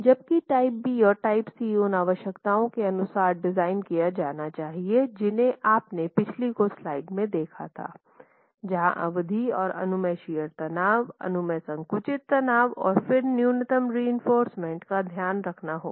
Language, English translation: Hindi, Whereas type B and type C would have to be designed as for the requirements that you saw in the last few slides on effective span and permissible shear stress, permissible compressive stress, and then minimum reinforcement has to be taken care of